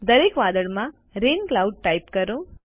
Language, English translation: Gujarati, Type Rain Cloud in each cloud